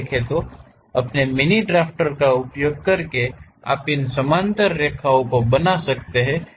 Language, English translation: Hindi, So, using your mini drafter you can really draw these parallel lines